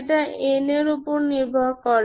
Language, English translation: Bengali, That depends on n